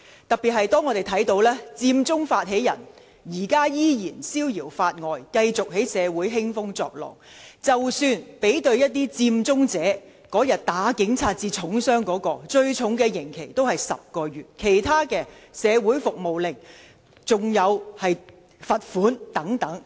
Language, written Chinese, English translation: Cantonese, 特別要指出的是，佔中發起人如今依然逍遙法外，繼續在社會興風作浪，即使對比打警察至重傷的佔中者，最重的刑期也不過是10個月，其他人士只被判社會服務令，甚至以罰款了事。, It is particularly worth pointing out that the instigators of the Occupy Central movement have still not been punished for their crimes to date with the result that they can continue to stir up trouble in society . A big contrast can be seen in the penalties for Occupy Central participants . For those who caused serious bodily harm to police officers the heaviest penalty is only 10 months imprisonment and in other cases the penalty is only a community service order or a mere fine